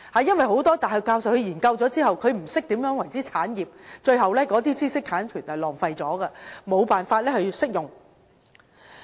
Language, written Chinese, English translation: Cantonese, 因為，很多大學教授在研究後，不懂何謂產業，最後知識產權便浪費了，無法運用。, It is because many professors do not have the knowledge about commercialization and are thus unable to properly apply their research and development results eventually wasting their intellectual property